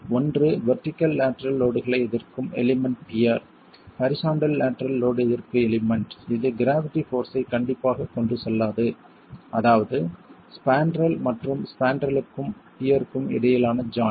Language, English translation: Tamil, One is the vertical lateral load resisting element, the pier, the horizontal lateral load resisting element which does not carry gravity strictly speaking, that's the spandrel and the joint between the spandrel and the peer